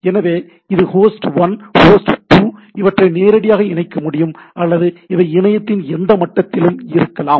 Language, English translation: Tamil, So, this is host 1, host 2; it can be directly connected or it can be at any level of the internet right